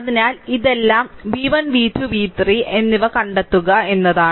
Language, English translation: Malayalam, So, all this ah all this thing is you have find out v 1 v 2 and v 3